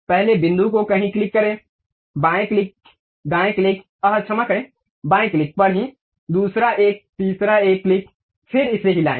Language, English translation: Hindi, Pick first point somewhere click, left click, right click, sorry left click only, second one, the third one click then move it